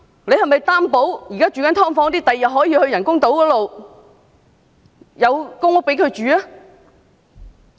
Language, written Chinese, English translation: Cantonese, 政府是否擔保現時居於"劏房"的市民日後可遷到人工島的公屋居住？, Is the Government guaranteeing that those people dwelling in subdivided units now can move to the public housing on the artificial islands?